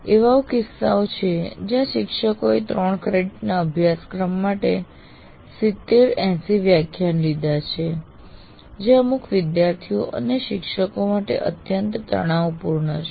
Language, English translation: Gujarati, There are instances where teachers have taken 70, 80 lectures for a three credit course, which is, which in some sense extremely stressful to the students to do that